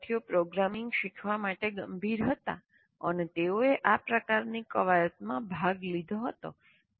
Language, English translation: Gujarati, A small number of students who are serious about learning programming, then they have participated in these kind of exercises